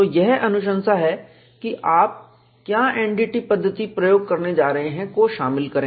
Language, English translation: Hindi, So, the recommendation has to incorporate, what is the method of NDT we are going to employ